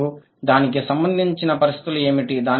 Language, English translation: Telugu, And what are the conditions associated with it